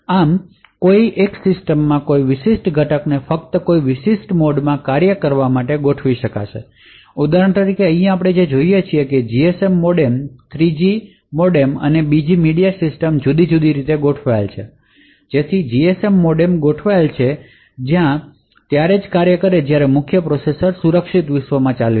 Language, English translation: Gujarati, Thus one would be able to configure a particular component in the system to work only from a particular mode for example over here what we see is that the GSM modem, 3G modem and the media system is configured differently so the GSM modem is configured so that it works only when the main processor is running in the secure world